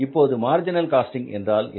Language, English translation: Tamil, Now, what is the marginal costing